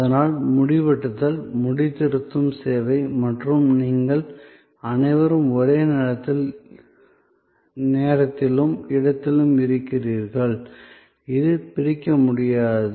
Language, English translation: Tamil, So, that service of haircut, the barber and you, all present in the same frame of time and space, this is the inseparability